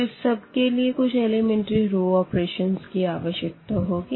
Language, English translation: Hindi, So, for that we need to do this elementary operation